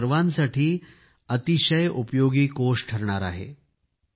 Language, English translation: Marathi, This fund can be of great use for all of you